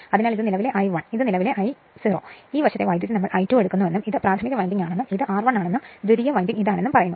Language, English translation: Malayalam, So, this is the current I 1, this is the current I 0 and this side current is say we are taking I 2 dash and this is my primary winding right and this is my R 1 and my secondary winding is this one